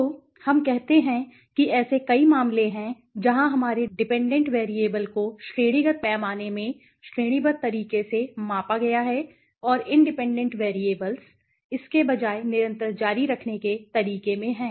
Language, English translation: Hindi, So, let us say there are several cases where our dependent variable right, dependent variable is let us say in categorical scale right has been measured in a categorical way and the independent variables are rather in are there in a continues way continuous okay